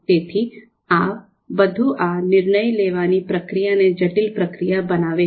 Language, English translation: Gujarati, So all this you know makes this decision making process a complex process